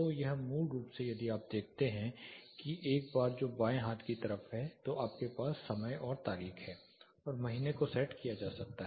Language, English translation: Hindi, So, this basically if you see there is a bar which is in the left hand side you have the time and date plus the month can be set